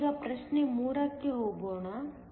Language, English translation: Kannada, Let me now move to problem 3